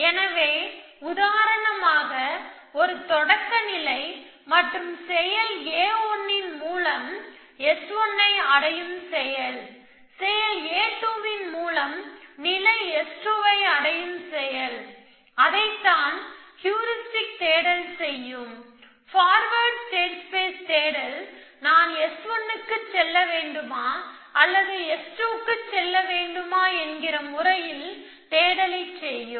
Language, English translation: Tamil, So, if I have, for example a start state and I can do action A 1 to go to sate S 1 and I can do action A 2, do to the state S 2, that is what heuristic search would do, powers express search would do, it is a should, I go to S 1 or should I go to S 2, in graph plan what you do is